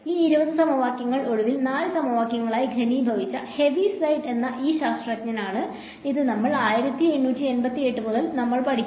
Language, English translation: Malayalam, Then there was this scientist by the name of Heaviside who condense these 20 equations finally, into 4 equations which is what we have been studying since 1888 right